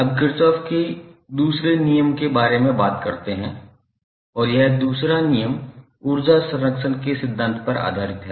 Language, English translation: Hindi, Now, let us talk about the second law of Kirchhoff and this second law is based on principle of conservation of energy